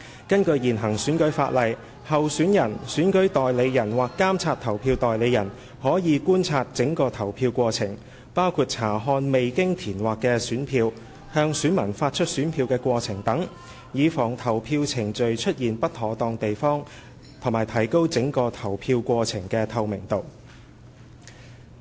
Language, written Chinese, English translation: Cantonese, 根據現行選舉法例，候選人/選舉代理人/監察投票代理人可觀察整個投票過程，包括查看未經填劃的選票，向選民發出選票的過程等，以防投票程序出現不妥當地方及提高整個投票過程的透明度。, According to the existing electoral legislation candidateselection agentspolling agents can witness the whole polling process including the checking of the unused ballot papers and issuance of ballot papers to electors so as to forestall the occurrence of irregularities and to enhance the transparency of the whole polling process